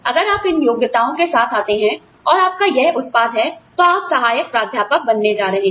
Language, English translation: Hindi, If you come with these qualifications, and if this is your output, you are going to be assistant professor